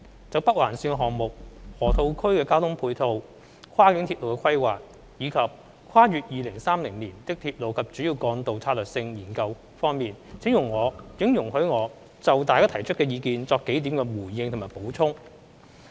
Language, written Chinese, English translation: Cantonese, 就北環綫項目、河套區的交通配套、跨境鐵路規劃，以及《跨越2030年的鐵路及主要幹道策略性研究》方面，請容許我就大家提出的意見作數點回應及補充。, Regarding the Northern Link NOL project ancillary transport facilities in the Loop cross - boundary railway planning and the Strategic Studies on Railways and Major Roads beyond 2030 please allow me to respond and supplement a few points in respect of the views expressed by Members